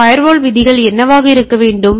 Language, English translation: Tamil, What should be the fire wall rules